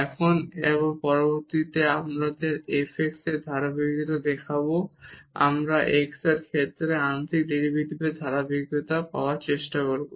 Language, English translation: Bengali, Now, and next we will show the continuity of this f x we will try to get the continuity of the partial derivative with respect to x